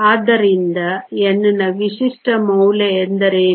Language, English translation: Kannada, So, what is a typical value of N